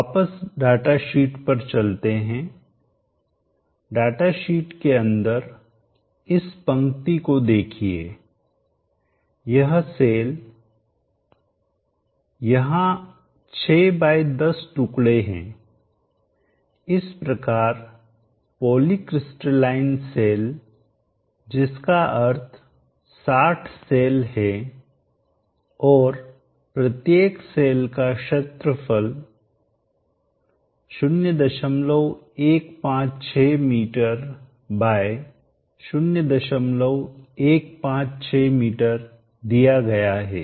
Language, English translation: Hindi, Go back to the data sheet, the data sheet look at this row the sense there are 6 x 10 pieces so the poly crystalline cell between 60 cells and each cell having this area has indicated 0